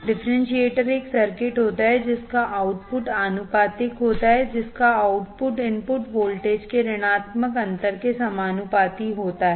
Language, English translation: Hindi, Differentiator is a circuit whose output is proportional whose output is proportional to the negative differential of the input voltage right